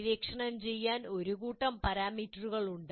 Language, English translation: Malayalam, So you have a whole bunch of parameters to explore